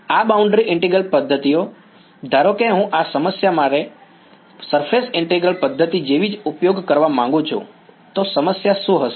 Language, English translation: Gujarati, And these boundary integral method, supposing I want use a like a surface integral method for this problem, what will be the problem